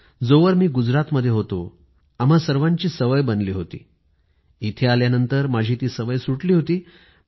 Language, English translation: Marathi, Till the time I was in Gujarat, this habit had been ingrained in us, but after coming here, I had lost that habit